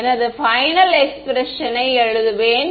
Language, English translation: Tamil, So, I will write down the final expression